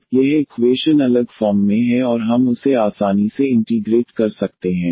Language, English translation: Hindi, Now, this equation is in separable form and we can integrate this easily